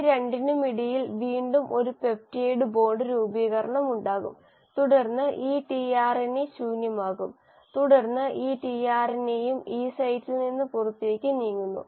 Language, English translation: Malayalam, Again there will be a peptide bond formation between these 2 and then this tRNA becomes empty and then this tRNA also moves out of the E site